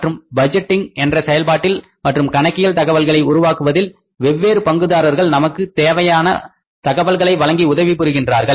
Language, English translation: Tamil, And in this entire system of the budgeting and creating the accounting information here the other different stakeholders they help us, they provide us that in important information